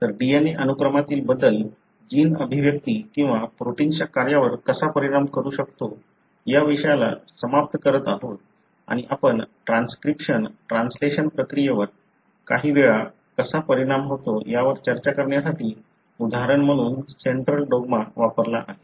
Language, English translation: Marathi, So, that pretty much ends the topic as to how changes in the DNA sequence can affect the gene expression or the protein function and we have sort of used the central dogma as an example to discuss how the process of transcription, translation, affect at times the gene function, as a result of the changes in the DNA